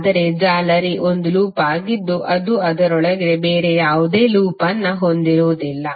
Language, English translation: Kannada, But mesh is a loop that does not contain any other loop within it